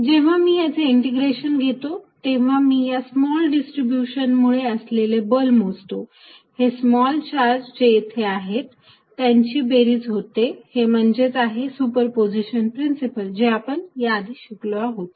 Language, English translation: Marathi, When I integrate this, when I am calculating force due to each small distribution, small charge here and adding it up, which was a principle of superposition we learnt earlier